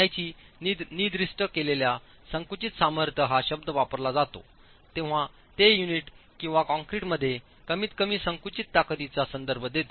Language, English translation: Marathi, When the word specified compressive strength of masonry is used it is referring to the minimum compressive strength that the unit or the concrete must have